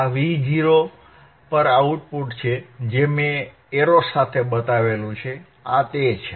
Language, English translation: Gujarati, This is output at V o which I have shown with arrow, this one